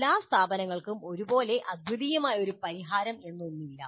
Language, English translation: Malayalam, There is nothing like one unique solution which can be adopted by all institutes